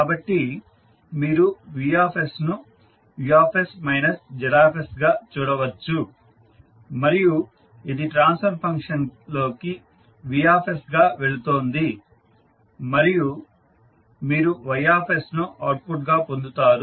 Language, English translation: Telugu, So Vs you can simply see as Us minus Zs and this goes into the transfer function Gs and you get the output as Ys